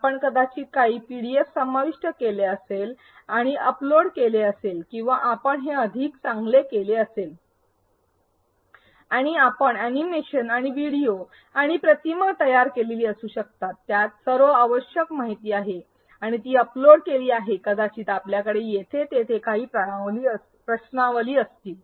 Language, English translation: Marathi, You might have included some pdfs and uploaded it or you may have done it better and you may have created animations and videos and images, which have all the required information and uploaded it maybe you have a couple of exercises here and there